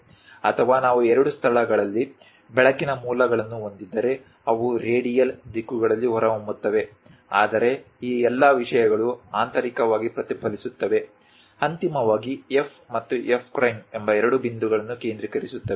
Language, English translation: Kannada, Or if we have light sources at two locations, they will be emanating in radial directions; but all these things internally reflected, finally focus two points F and F prime